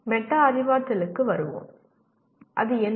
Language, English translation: Tamil, Coming to metacognition, what is it